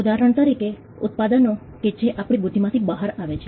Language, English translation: Gujarati, For instance, products that come out of our intellect